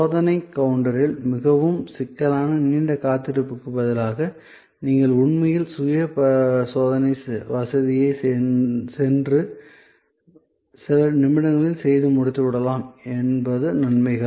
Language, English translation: Tamil, So, the advantages are obvious, that instead of a very complicated long wait at the checking counter, you can actually go through the self checking facility and get it done in a few minutes